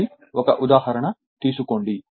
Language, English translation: Telugu, So, take one example